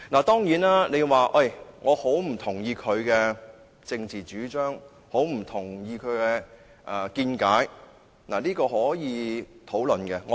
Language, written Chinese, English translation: Cantonese, 當然，你可以很不同意他的政治主張、見解，這是可以討論的。, Of course you can strongly disagree with his political stance and views this is discussible